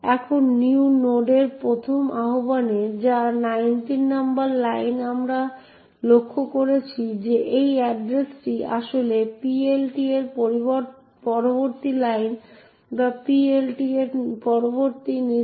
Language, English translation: Bengali, Now, in the first invocation of new node which is at line number 19 what we notice is that this address is in fact the next line in the PLT or the next instruction in the PLT